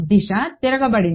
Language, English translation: Telugu, Direction is reversed